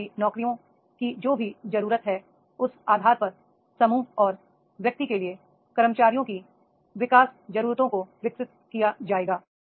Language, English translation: Hindi, Whatever the future jobs are needed on basis of that this development needs of the employees for the group and individual that will be developed